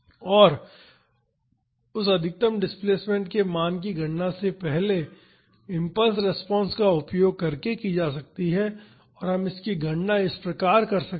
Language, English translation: Hindi, And, the value of that maximum displacement can be calculated using the first impulse response and we can calculate this as this